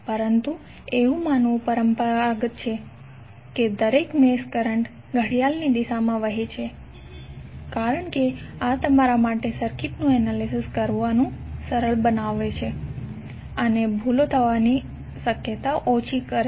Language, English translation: Gujarati, But it is conventional to assume that each mesh current flows clockwise because this will be easier for you to analyse the circuit and there would be less chances of errors